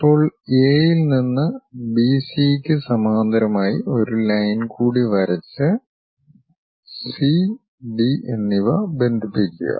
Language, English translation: Malayalam, Now, parallel to B C from A draw one more line D and connect C and D